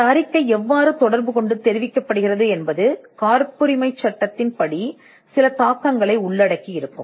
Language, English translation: Tamil, How this report is communicated can have certain implications in patent law